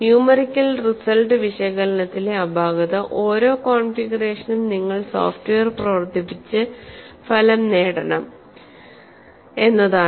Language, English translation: Malayalam, The defect in numerical analysis, for each configuration, you have to run the software and get the result